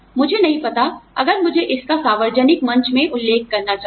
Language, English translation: Hindi, I do not know, if I should be mentioning, it in a public forum